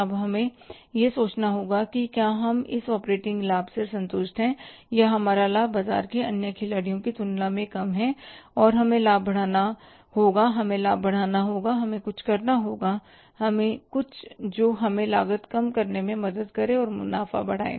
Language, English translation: Hindi, Now we will have to think about that whether we are satisfied with this operating profit or our profiting is lesser than the other players in the market and we have to increase the profit, we have to enhance the profit and we have to then do some something which is helping us to reduce the cost increase the profits